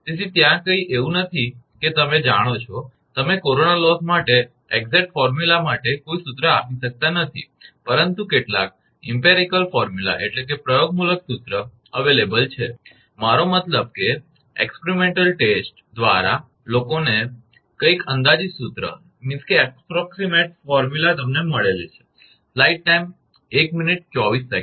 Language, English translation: Gujarati, So, that is why there is no you know you cannot give any formula for exact formula for corona loss, but some empirical formula is available, I mean through the experimental test people have found some approximate formula